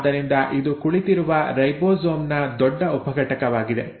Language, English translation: Kannada, So this is the large subunit of the ribosome which is sitting